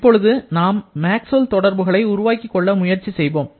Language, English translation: Tamil, Now, the one that we are looking to develop, the Maxwell’s relation